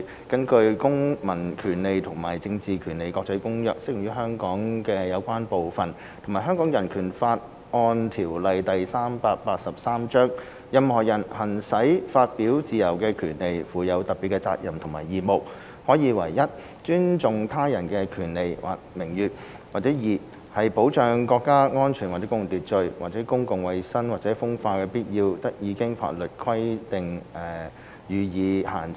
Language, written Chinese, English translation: Cantonese, 根據《公民權利和政治權利國際公約》適用於香港的有關部分及《香港人權法案條例》，任何人行使發表自由的權利，附有特別責任及義務，可以為一尊重他人權利或名譽，或二保障國家安全或公共秩序，或公共衞生或風化的必要，得以經法律規定予以限制。, According to the International Covenant on Civil and Political Rights as applied to Hong Kong and the Hong Kong Bill of Rights Ordinance Cap . 383 the exercise by anyone of the right to freedom of expression carries with it special duties and responsibilities and may therefore be subject to certain restrictions as provided by law as necessary for i respect of the rights or reputations of others or ii the protection of national security or of public order or of public health or morals